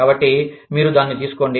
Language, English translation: Telugu, So, you take that